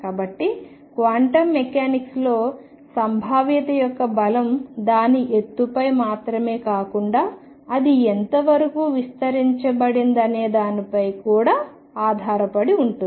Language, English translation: Telugu, So, in quantum mechanics the strength of the potential depends not only is on its height, but also how far it is extended